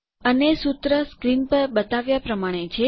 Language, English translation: Gujarati, And the formula is as shown on the screen